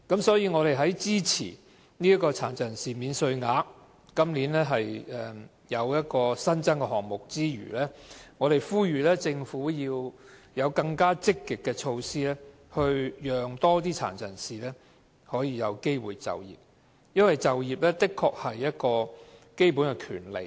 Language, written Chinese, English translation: Cantonese, 所以，我們在支持今年這項新增的殘疾人士免稅額之餘，亦呼籲政府推行更積極的措施，讓更多殘疾人士有機會就業，因為就業確是一種基本權利。, Therefore while supporting the introduction of a new personal disability allowance this year we also call on the Government to implement more positive measures to provide more employment opportunities for PWDs as employment is indeed a fundamental right